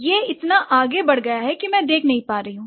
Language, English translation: Hindi, This has gone so far that I'm not able to see